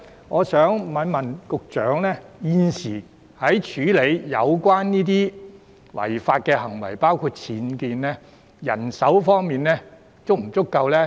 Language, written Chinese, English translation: Cantonese, 我想在此問一問局長，現時在處理有關違法行為的工作上，人手方面是否足夠？, I would hereby like to ask the Secretary whether sufficient manpower is currently available to deal with the work in relation to the irregularities concerned including UBWs